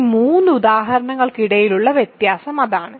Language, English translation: Malayalam, So, that is the difference in these 3 examples, between these 3 examples